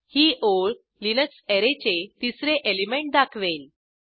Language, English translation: Marathi, This line displays the 3rd element of the Array Linux